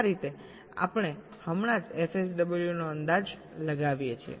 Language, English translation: Gujarati, this is how we just estimate f sw